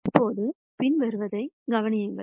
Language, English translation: Tamil, Now, you notice the following